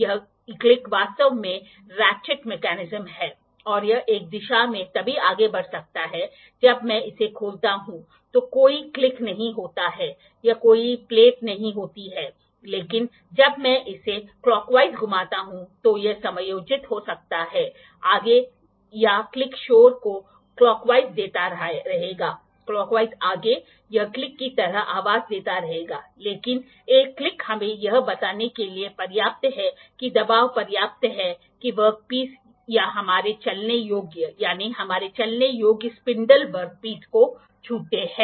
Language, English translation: Hindi, This click is actually the ratchet mechanism it can move in one direction only if when I open it there is no click or there is no plate, but it can adjust when I rotate it clockwise further it will keep on giving the click noises clockwise, clockwise further it will keep on giving the click voice noises like click, but one click is enough to let us know that the pressure is enough that the work piece or the our moveable, that is our moveable spindles touch the work piece